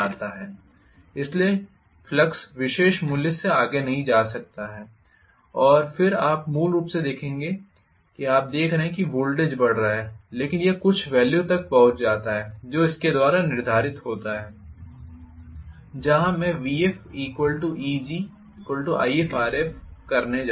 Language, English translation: Hindi, So, the flux cannot go beyond the particular value and then you will see that basically you are going to see the voltage is building up but it reaches some value which is dictated by, where I am going to have vf equal to Eg equal to If Rf, this is I f this is Eg